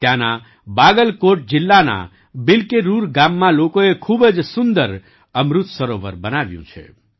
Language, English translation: Gujarati, Here in the village 'Bilkerur' of Bagalkot district, people have built a very beautiful Amrit Sarovar